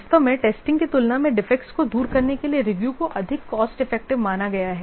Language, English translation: Hindi, In fact, review has been acknowledged to be more cost effective in removing defects as compared to testing